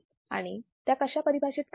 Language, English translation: Marathi, and how it is defined